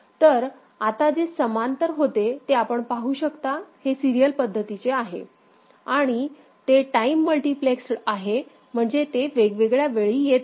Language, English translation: Marathi, So, what was parallel now you can see, it is in serial manner you are able to read it and it is time multiplexed means it is appearing in different point of time